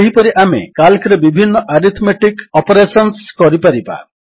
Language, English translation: Odia, Similarly, we can perform various arithmetic operations in Calc